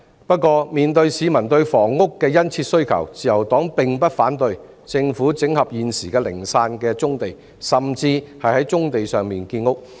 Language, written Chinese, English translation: Cantonese, 不過，面對市民對房屋的殷切需求，自由黨並不反對政府整合現時零散的棕地，甚至在棕地上建屋。, However when facing the imminent needs of the people for housing the Liberal Party does not object to the consolidation of existing scattered brownfield sites or even construction of housing on the brownfield sites